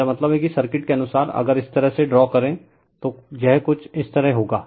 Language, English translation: Hindi, I mean the circuit wise if we draw like this, it will be something like this